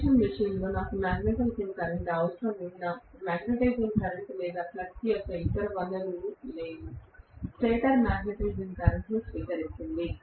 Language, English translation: Telugu, In an induction machine, no matter what I need the magnetising current, there is no other source of the magnetising current or flux, stator is drawing, magnetising current